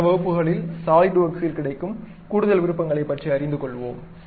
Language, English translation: Tamil, In next classes, we will learn about more options available at Solidworks